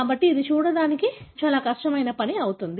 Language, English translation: Telugu, So, that is going to be extremely difficult task to see